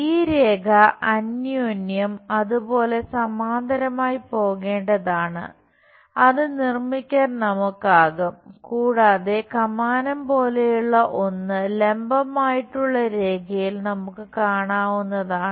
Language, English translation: Malayalam, And this line this line supposed to go parallel to each other something like that we will be in a position to construct and there is something like an arc also we will see in the vertical line